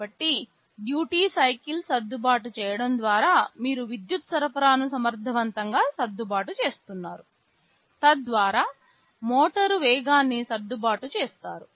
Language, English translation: Telugu, So, by adjusting the duty cycle you are effectively adjusting the power supply, thereby adjusting the speed of the motor